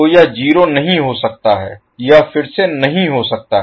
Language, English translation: Hindi, So this cannot be 0, this is again cannot be